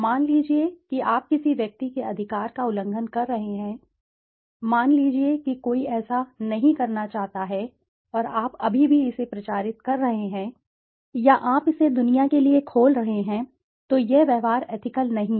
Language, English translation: Hindi, Suppose you are violating the right of a person, suppose somebody does not want it to be done and you are still publicizing it or you are opening it up to the world, then this behavior is not ethical